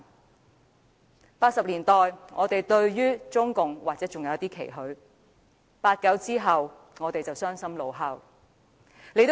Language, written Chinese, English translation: Cantonese, 1980年代，我們對中共或者尚有一絲期許 ；1989 年後，我們傷心怒吼。, In the 1980s we might still have a glimmer of hope for the Communist Party of China; after 1989 we were disheartened and outraged